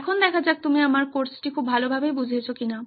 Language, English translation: Bengali, Now you might ask let us see if you have got my course very well